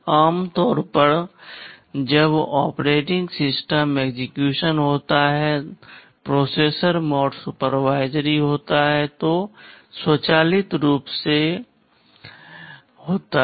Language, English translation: Hindi, Normally when the OS executes, the processor mode is supervisory, that automatically happens